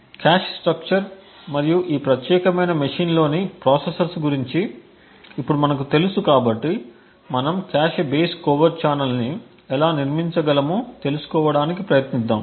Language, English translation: Telugu, So now that we know about the cache structure and the processors within this particular machine let us next try to find out how we could actually build a cache base covert channel